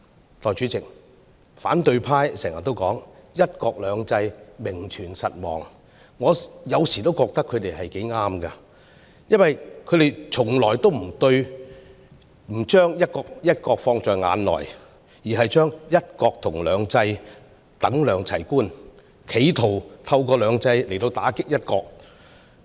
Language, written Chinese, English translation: Cantonese, 代理主席，反對派經常說"一國兩制"名存實亡，我有時候覺得他們說得也對，因為他們從來不把"一國"放在眼內，而將"一國"和"兩制"等量齊觀，企圖透過"兩制"來打擊"一國"。, Deputy President the opposition camp always says that one country two systems exists in name only . Sometimes I think they are right as they always ignore one country and treat one country and two systems with equal weights in an attempt to attack one country with two systems